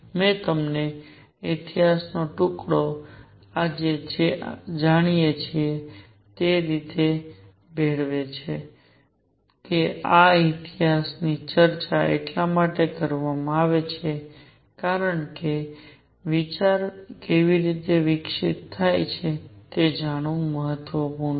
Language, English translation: Gujarati, I have given you the piece of history mix with what we know today, that this history is discussed because it is important to know how idea is developed